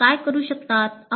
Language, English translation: Marathi, And what can the teachers do